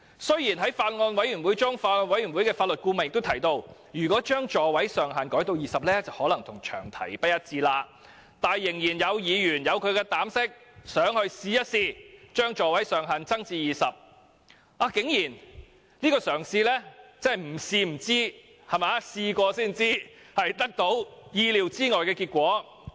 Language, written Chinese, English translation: Cantonese, 雖然在法案委員會的會議上，法案委員會的法律顧問也提到，將座位上限改為20個可能與詳題不一致，但依然有議員膽敢提出修正案，把座位上限提高至20個，而這嘗試亦竟然得到意料之外的結果。, Although at a meeting of the Bills Committee the legal adviser of the Bills Committee pointed out that changing the maximum seating capacity of light buses to 20 might not be consistent with the long title a Member was bold enough to put forward a CSA to increase the maximum seating capacity to 20 and the attempt was met with a surprising result